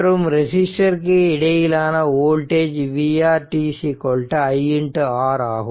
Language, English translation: Tamil, So, voltage across the resistor is v R t is equal to i into R